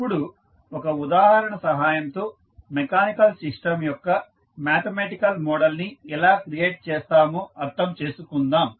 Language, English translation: Telugu, Now, let us take one example so that we can understand how we will create the mathematical model of mechanical system